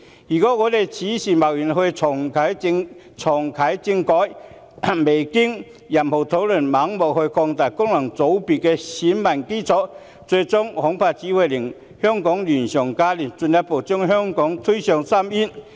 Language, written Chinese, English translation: Cantonese, 如果此時貿然重啟政改，未經任何討論就盲目擴大功能界別的選民基礎，最終恐怕只會令香港亂上加亂，進一步將香港推向深淵。, If the political reform is hastily reactivated now to blindly expand the electorate of FCs without going through any discussions I am afraid it will only create more chaos in Hong Kong and further push Hong Kong into an abyss in the end